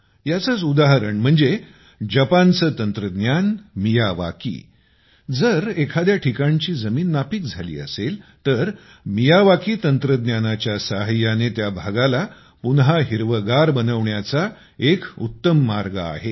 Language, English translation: Marathi, An example of this is Japan's technique Miyawaki; if the soil at some place has not been fertile, then the Miyawaki technique is a very good way to make that area green again